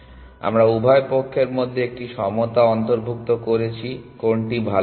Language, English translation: Bengali, So, we have included an equality in both the sides which one is better